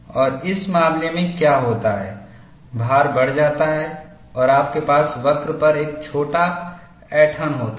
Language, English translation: Hindi, And in this case, what happens is, the load increases and you have a nice kink on the curve